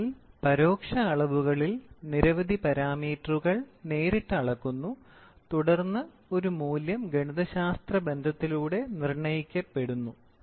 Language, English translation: Malayalam, So, in indirect measurements, several parameters are measured directly and then a value is determined by mathematical relationship